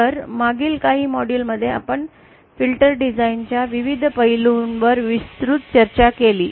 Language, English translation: Marathi, So in over all in past few modules we had extensively discussed the various aspects of filter design